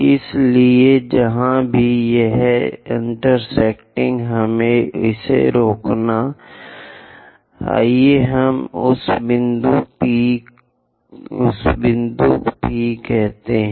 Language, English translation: Hindi, So, wherever it is intersecting, let us stop it; let us call that point P 1